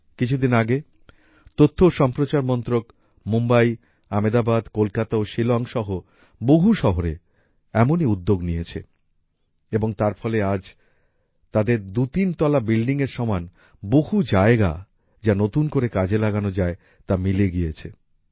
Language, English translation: Bengali, In the past, even the Ministry of Information and Broadcasting also made a lot of effort in its offices in Mumbai, Ahmedabad, Kolkata, Shillong in many cities and because of that, today they have two, three floors, available completely in usage anew